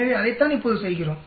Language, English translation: Tamil, So that is what we are doing now